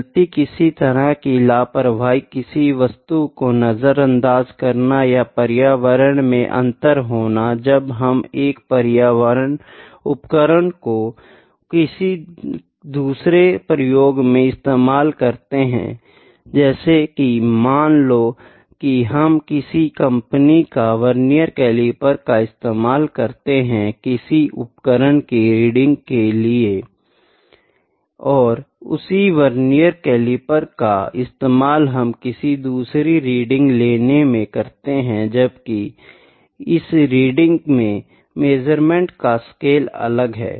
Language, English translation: Hindi, The mistake is sometime like something an ignorance, carelessness or environmental conditions are different some experiment using, one instrument another experiment using, second instrument for instance you might be using vernier calliper of one company for taking one reading, and vernier calliper which is having different type of scale for taking another reading